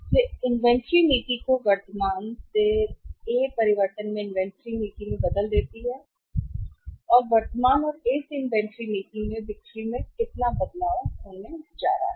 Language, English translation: Hindi, So, invent change in inventory policy from current to current to A change in the and inventory policy from current to A, how much is this going to be changed in the sales